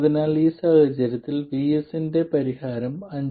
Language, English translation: Malayalam, This is the value of VS and VS in this case is 5